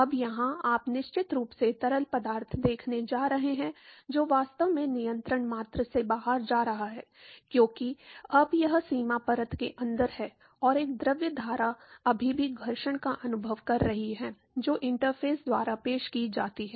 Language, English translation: Hindi, Now, here you definitely going to see fluid which is actually moving out of the control volume right, because now, this is inside the boundary layer and a fluid stream is still experiencing the friction which is offered by the interface